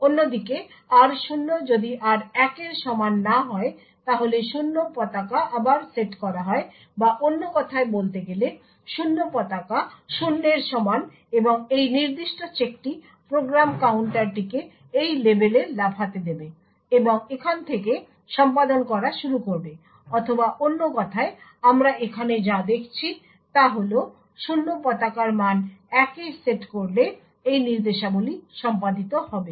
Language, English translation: Bengali, On the other hand if r0 is not equal to r1 then the 0 flag is reset or in other words the 0 flag is equal to 0 and this particular check would cause the program counter to jump to this label and start to execute from here, or in other words what we see over here is a value of 0 flag set to 1 would cause these instructions to be executed